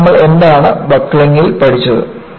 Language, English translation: Malayalam, And, what is it that you have learnt in buckling